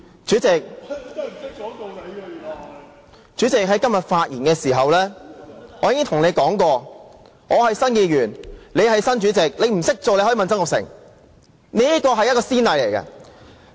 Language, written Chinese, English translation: Cantonese, 主席，我在今天發言時已經說過，我是新任議員，你是新任主席，你不懂如何當主席可以向曾鈺成請教。, President as I have said in my speech today I am a new Member and you are a new President . If you do not know how to be a President you may consult Jasper TSANG